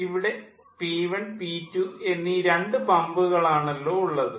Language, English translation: Malayalam, there are two pumps, p one and p two